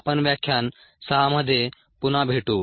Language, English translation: Marathi, we will meet again in lecture six